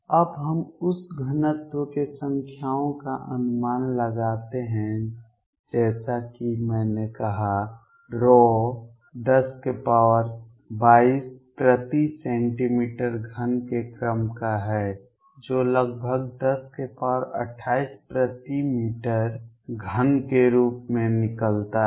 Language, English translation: Hindi, Now let us estimate the numbers the density is as I said rho is of the order of 10 raise to 22 per centimeter cubed which comes out to be roughly 10 raise to 28 per meter cubed